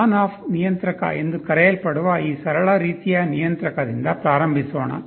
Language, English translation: Kannada, Let us start with this simplest kind of controller called ON OFF controller